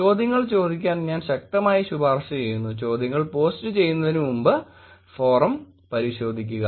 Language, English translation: Malayalam, I strongly recommend you to ask, check the forum before posting the questions